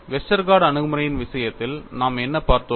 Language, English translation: Tamil, In the case of Westergaard approach what we saw